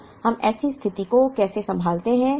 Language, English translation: Hindi, Now, how do we handle such a situation